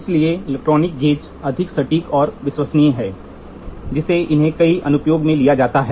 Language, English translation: Hindi, So, the electronic comparator electronic gauges are more accurate and reliable, which has made them preferred choice in many applications